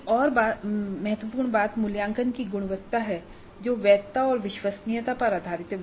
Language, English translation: Hindi, And another important thing is the quality of the assessment which is characterized by validity and reliability